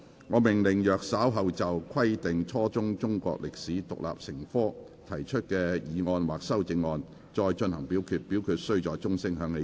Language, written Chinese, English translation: Cantonese, 我命令若稍後就"規定初中中國歷史獨立成科"所提出的議案或修正案再進行點名表決，表決須在鐘聲響起1分鐘後進行。, I order that in the event of further divisions being claimed in respect of the motion on Requiring the teaching of Chinese history as an independent subject at junior secondary level or any amendments thereto this Council do proceed to each of such divisions immediately after the division bell has been rung for one minute